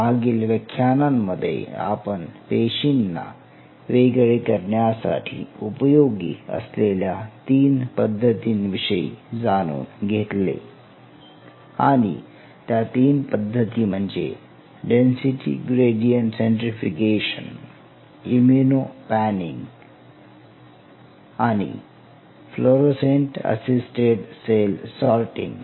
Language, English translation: Marathi, So, in the last class we summarize the 3 techniques of cell separation, where we talked about density gradients centrifugation, we talked about immuno panning and we talked about fluorescent assisted cell sorting